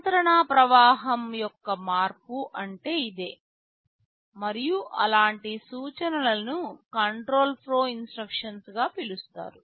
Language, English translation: Telugu, This is what is meant by change of control flow, and such instructions are termed as control flow instructions